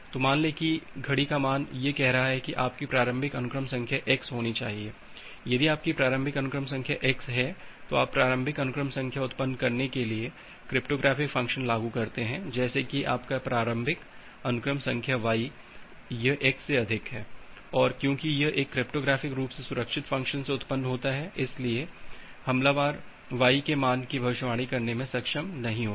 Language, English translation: Hindi, So, say the clock value is saying that your initial sequence number should be x, if your initial sequence number is x then you apply a cryptographic function to generate a initial sequence number such that your initial sequence number y it is more than x and because this is generated from a cryptographically secured function, so the attacker will not be able to predict the value of y